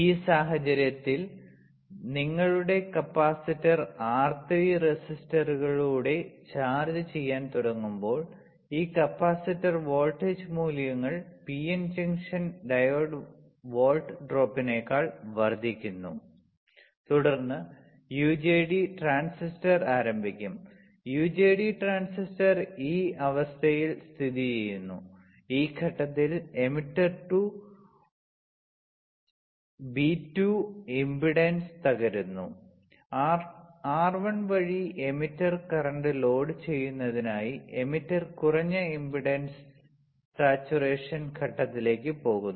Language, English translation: Malayalam, In this case when your capacitor will start charging through the resistors R3, this capacitor voltage values increases more than the PN junction diode volt drop, then the UJT will start conducting, the UJT transistor is in on condition at this point emitter to B1 impedance collapses and emitter goes into low impedance saturation stage with a for load of emitter current through R1 taking place, correct